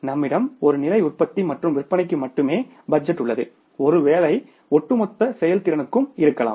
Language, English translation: Tamil, You have the budget only for one level of production and the sales may be the overall performance